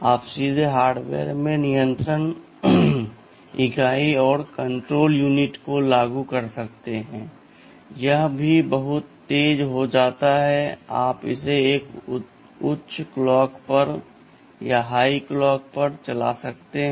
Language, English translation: Hindi, You can directly implement the control unit in hardware, if you do it in hardware itthis also becomes much faster and you can run it at a higher clock